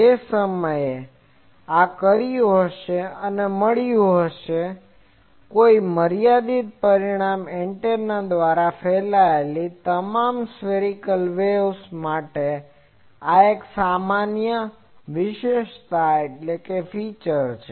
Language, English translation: Gujarati, That time also may have said or you have got it, but this is a general feature for all spherical waves radiated by any finite dimension antenna